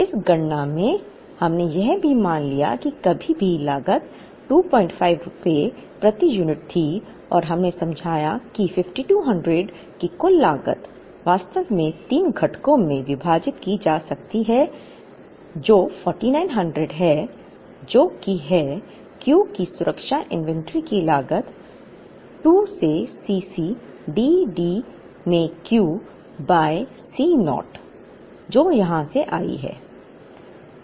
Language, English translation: Hindi, 5 per unit backordered and we explained that this total cost of 5200, was actually could be split into 3 components which is 4900, which is the cost of the safety inventory of Q by 2 into C c plus D by Q into C naught, which came from here